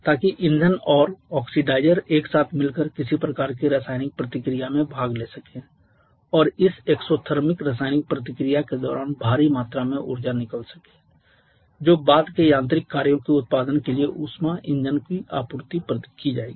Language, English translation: Hindi, So that the fuel and oxidizer can combine together participate in some kind of chemical reaction and during this exothermic chemical reactions huge amount of energy can get released which will be supplied to the heat engine for production of subsequent mechanical work